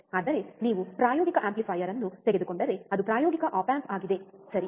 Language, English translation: Kannada, But if you if you take operational amplifier which is a practical op amp, right